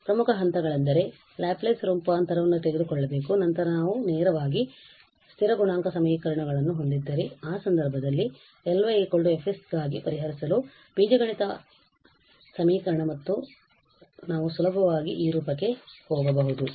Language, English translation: Kannada, The key steps were we have to take the Laplace transform and then we have to solve for L y is equal to F s in this case if we have the constant coefficient equations we directly get algebraic expression and we can easily get into this form